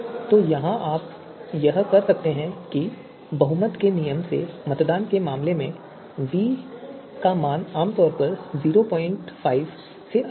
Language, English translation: Hindi, So here you can see how voting by majority rule so v would typically be greater than 0